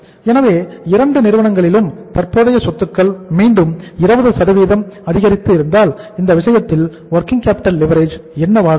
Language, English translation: Tamil, So if you are reducing the current assets in both the firms by 20% how the working capital leverage is going to be there